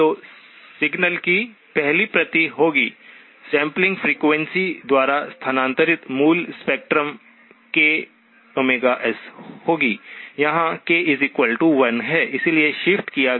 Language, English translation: Hindi, So the first copy of the signal will be, original spectrum shifted by the sampling frequency, k times Omega S where k equals 1